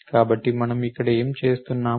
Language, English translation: Telugu, So, what are we doing here